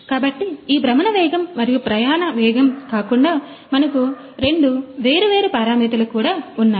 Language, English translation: Telugu, So, apart from this rotational speed and travel speed we have two different parameters as well